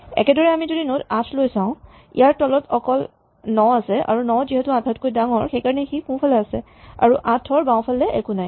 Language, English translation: Assamese, Similarly, if we look at the node 8, it has only one value below it namely 9 and therefore, it has no left child, but 9 is in the right subtree of 8